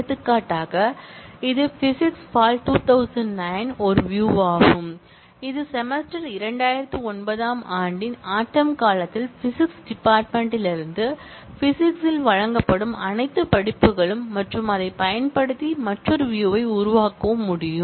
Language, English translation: Tamil, For example, this is one view which is the view of physics fall 2009, which are all courses that are offered in physics, from the physics department in the semester fall of year 2009 and using that we can create another view